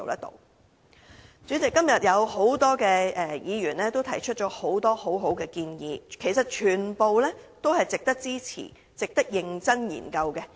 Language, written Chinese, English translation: Cantonese, 代理主席，多位議員今天都提出了很多很好的建議，其實全部都值得支持和認真研究。, Deputy President various Members have raised many good proposals today . Actually all their proposals merit our support and serious consideration